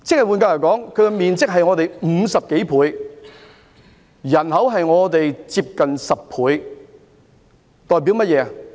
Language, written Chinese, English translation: Cantonese, 換言之，它的面積是我們的50多倍，人口差不多是我們的10倍。, In other words its area is over 50 times the size of ours and its population is almost 10 times that of ours